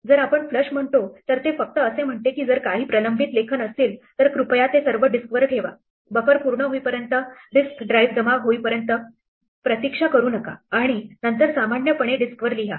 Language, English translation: Marathi, In case we say flush, it just say if there are any pending writes then please put them all on to the disk, do not wait for the risk drives to accumulate until the buffer is full and then write as you normally would to the disk